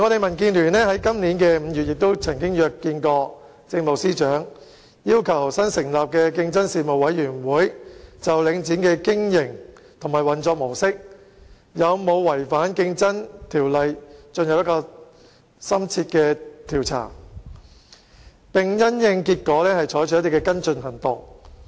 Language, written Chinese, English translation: Cantonese, 民建聯今年5月曾約見政務司司長，要求新成立的競爭事務委員會就領展的經營及運作模式有否違反《競爭條例》進行深切調查，並因應結果採取跟進行動。, During its meeting with the Chief Secretary for Administration in May this year DAB requested that the newly set up Competition Commission conduct an in - depth inquiry into whether the business practice and modus operandi of Link REIT had contravened the Competition Ordinance